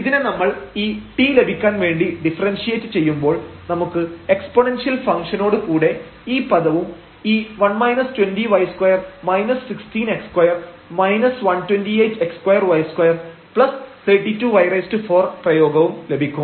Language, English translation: Malayalam, So, this is f y and when we differentiate this to get this t we will get this term now with exponential function and this expression 1 minus 20 y square minus 16 x square 128 x square y square plus 32 y 4